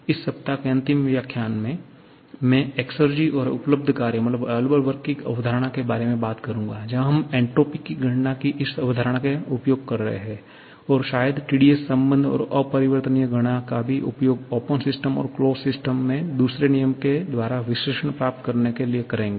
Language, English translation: Hindi, In the final lecture of this week, I shall be talking about the concept of exergy and available work where we shall be using this concept of entropy calculation, T dS relations probably and also the irreversibility calculations to get a complete second law analysis of both closed and open systems